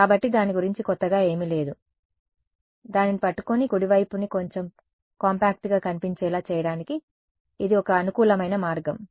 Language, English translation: Telugu, So, there is nothing new about it, it is just a convenient way to hold that and make the right hand side look a little bit more compact